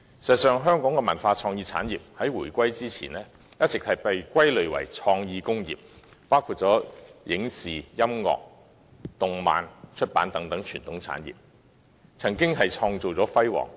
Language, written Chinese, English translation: Cantonese, 事實上，香港的文化創意產業在回歸前一直被歸類為創意工業，包括影視、音樂、動漫和出版等傳統產業，曾經創造出輝煌的成績。, In fact before the reunification Hong Kongs cultural and creative productions had been classified as the creative industry which included traditional industries such as films and television music animation and comics and publishing . Our creative industry used to have made glorious achievements